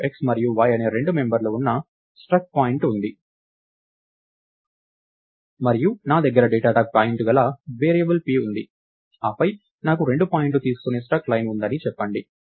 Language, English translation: Telugu, So, we have a struct point which has two members x and y and I have a variable p of the data type point, then lets say I have a struct line which takes two points